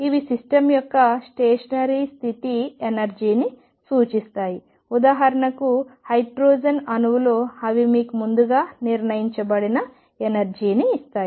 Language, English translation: Telugu, And these will represent the stationary state energy of the system for example, in hydrogen atom they will give you the energy is determined earlier